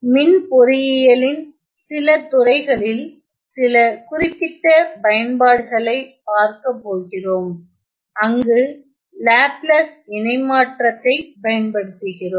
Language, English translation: Tamil, And then we are going to look at some specific applications in some streams of electrical engineering, where we apply Laplace transform